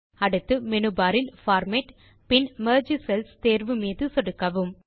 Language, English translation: Tamil, Next click on the Format option in the menu bar and then click on the Merge Cells option